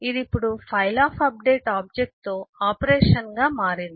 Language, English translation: Telugu, it now has become an operation with the object file of updates